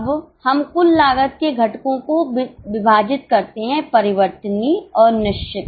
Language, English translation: Hindi, Now we divide this total cost into two components, variable and fixed